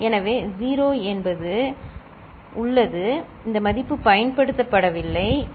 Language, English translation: Tamil, So, 0 means there is this value is not used, ok